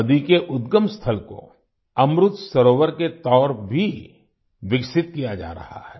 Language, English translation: Hindi, The point of origin of the river, the headwater is also being developed as an Amrit Sarovar